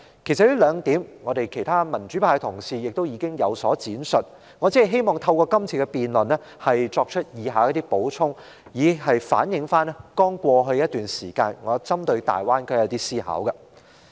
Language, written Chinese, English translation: Cantonese, 其實，其他民主派議員也曾就這兩點作出闡述，而我只希望透過今次辯論，作出以下的補充，以反映我在過去一段時間針對大灣區進行的思考。, Actually some other pro - democracy Members have already elaborated on these two points and I only wish to make the following supplementary remarks to reflect what I have come up with in previous months upon mulling over the various issues associated with the Greater Bay Area